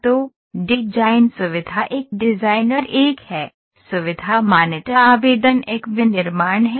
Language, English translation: Hindi, So, design feature is a designer one, feature recognition application is the manufacturing one